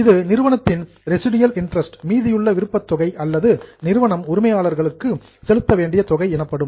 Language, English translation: Tamil, Now, this is a residual interest of the enterprise or this is the amount which enterprise or a company has to pay to the owners